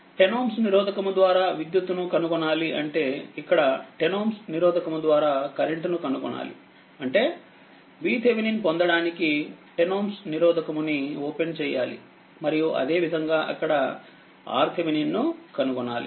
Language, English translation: Telugu, You have to find out the current through 10 ohm resistance; that means, here you have to find out the current through 10 ohm resistance that mean you have to open 10 ohm resistance to get the V Thevenin and similarly you have to find out the R Thevenin there